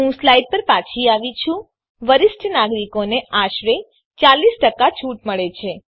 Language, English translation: Gujarati, I have return to the slides, Senior citizens gets about 40% discount